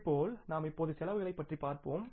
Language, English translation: Tamil, Similarly you talk about now the expenses